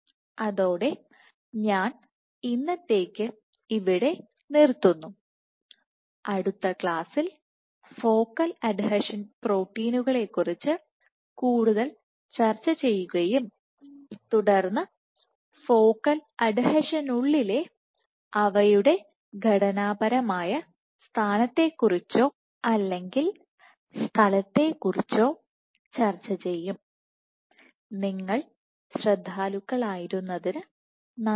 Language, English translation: Malayalam, With that I stop here for today and I will continue in next class discussing some more of the focal adhesion proteins and then discussing about their structural position or location within the focal adhesion